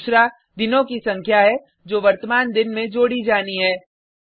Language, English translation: Hindi, Second is the number of days to be added to the present day